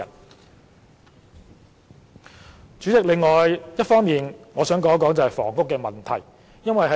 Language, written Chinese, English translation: Cantonese, 代理主席，另一方面，我想就房屋問題發表意見。, Deputy Chairman on a separate note I wish to express my views on housing